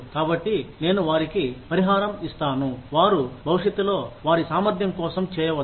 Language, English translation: Telugu, So, let me compensate them, for what they can do in future, for their ability